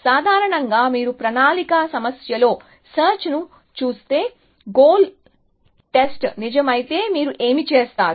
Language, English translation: Telugu, In general, if you look at search in a planning problem, what do you do, if goal test is true